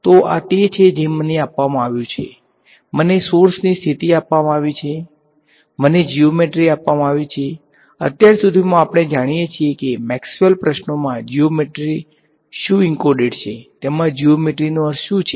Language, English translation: Gujarati, So, this is what is given to me, I am given the position of the sources, I am given the geometry and my geometry by now we know what do we mean by geometry into what is geometry encoded in Maxwell questions